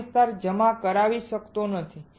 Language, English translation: Gujarati, This area cannot get deposited